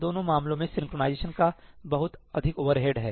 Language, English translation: Hindi, In both cases, there is a lot of overhead of synchronization